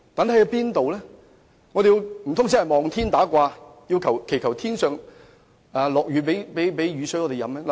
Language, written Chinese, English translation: Cantonese, 難道我們真的要"望天打卦"，祈求上天賜雨水給我們飲用？, Do we really have to pray for the mercy of God to bestow rainwater to us to quench our thirst?